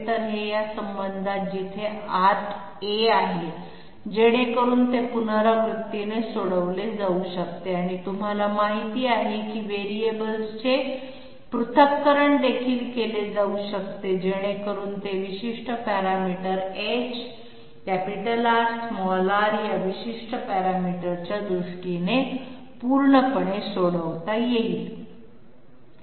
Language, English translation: Marathi, So this is this relation is containing A inside so that it can be iteratively solved or you know separation of variables can also be done so that it can be solved completely in terms of this particular parameter h, big R, small r